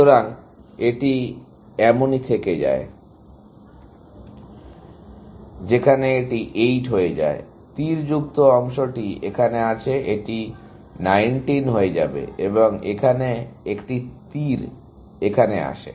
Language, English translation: Bengali, So, it remains like that, whereas, this becomes 8 this, in arrow, which comes here, this becomes 19 and an arrow comes here